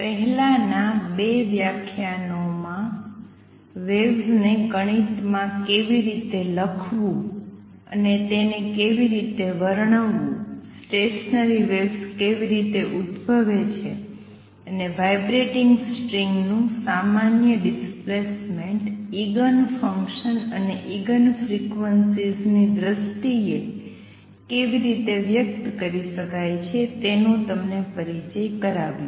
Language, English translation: Gujarati, In the previous 2 lectures are introduced you to the idea of how to describe waves how to write the mathematically, and also how stationary waves arise and a general displacement of a vibrating string can be express in terms of the Eigen functions, and Eigen frequencies of that string